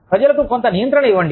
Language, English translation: Telugu, Give people, some control